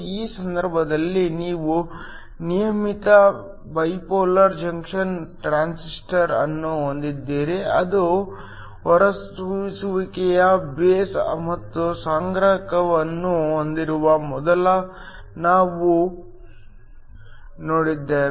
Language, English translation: Kannada, In this case, you have a regular bipolar junction transistor which we have seen before it has an emitter base and the collector